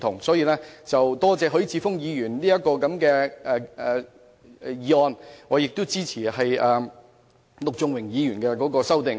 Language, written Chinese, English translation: Cantonese, 因此，我感謝許智峯議員提出議案，亦支持陸頌雄議員的修正案。, For this reason I thank Mr HUI Chi - fung for proposing the motion and support Mr LUK Chung - hungs amendment